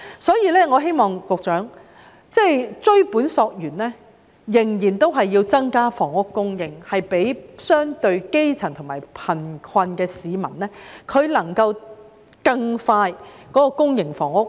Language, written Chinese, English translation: Cantonese, 所以，我想告訴局長，追本溯源，必須增加房屋供應，讓相對基層及較貧困的市民更快遷入公營房屋。, Therefore I wish to tell the Secretary that the ultimate solution lies in increasing the supply of public housing which will enable the grass roots and those relatively less well - off to move into public housing more quickly